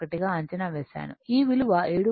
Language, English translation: Telugu, 1 this value is equal to 7